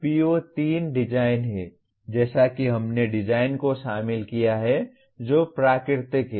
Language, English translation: Hindi, PO3 is design; as we included design that is natural